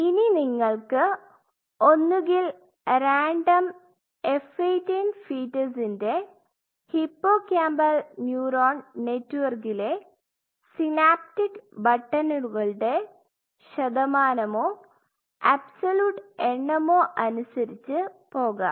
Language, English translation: Malayalam, And here you are either you go by percentage or absolute count of synaptic buttons in a random F18 fetal 18 hippocampal neuron networks